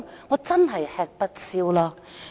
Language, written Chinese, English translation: Cantonese, 我真的吃不消了。, I really can bear it no more